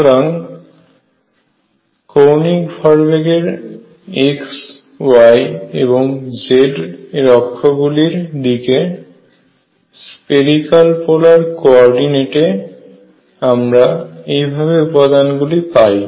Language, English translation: Bengali, So, the components of angular momentum in x y and z direction are given in terms of spherical polar coordinates like this